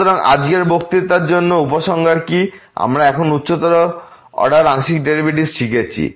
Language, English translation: Bengali, So, what is the conclusion for today’s lecture we have now learn the partial order derivative of higher order